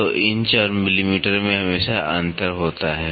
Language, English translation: Hindi, So, inches and millimetre there is always a difference